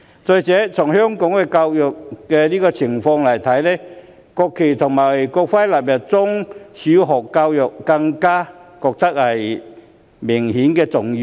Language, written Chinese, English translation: Cantonese, 再者，以香港目前的教育情況來看，將國旗及國徽納入中小學教育便更顯重要。, Besides given the present situation of education in Hong Kong the inclusion of the national flag and national emblem in primary education and in secondary education becomes even more important